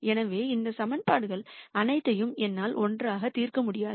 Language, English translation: Tamil, So, I cannot solve all of these equations together